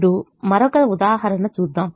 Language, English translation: Telugu, now let me look at another instance